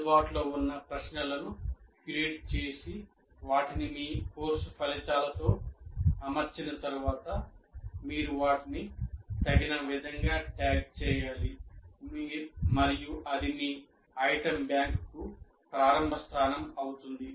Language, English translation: Telugu, Then you have to, after curating these questions that are available and making them in alignment with your course outcomes, then you have to just tag them appropriately and that will be starting point for your item bank